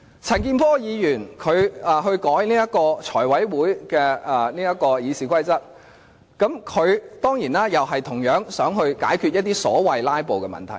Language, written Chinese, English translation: Cantonese, 陳健波議員要修改《財務委員會會議程序》，他當然同樣想解決一些所謂"拉布"的問題。, Mr CHAN Kin - por wants to amend the Finance Committee Procedure . Of course he similarly wants to resolve the so - called filibuster problem